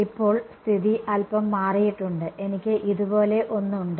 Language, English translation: Malayalam, Right now the situation has changed a little bit, I have something like this